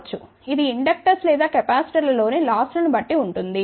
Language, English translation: Telugu, 2 dB, depending upon the loses in the inductors or capacitors